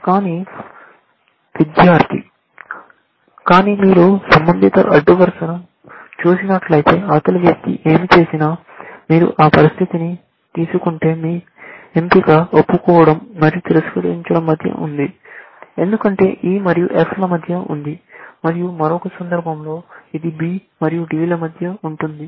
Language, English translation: Telugu, Either case, if you take the situation where, whatever, regardless of what the other person does, if you say corresponding row; your choice is between confessing and denying, because it is between E and F, and in the other case, it is between B and D